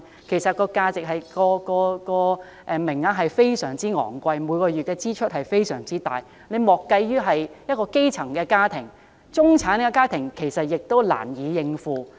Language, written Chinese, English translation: Cantonese, 其實，這收費非常昂貴，家庭每月的支出非常大。莫說基層家庭，中產家庭也難以應付。, This is a rather big sum of money and families have to bear very high domestic expenses each month which even middle - class families find it difficult to afford let alone grass - roots families